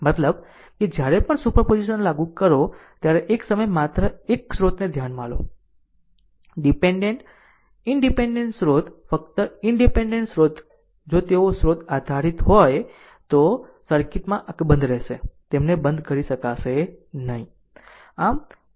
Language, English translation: Gujarati, I mean whenever you applying super position, you consider only one source at a time independent source right only independent source if they dependent source, there will remain intact in the circuit right you cannot turn them off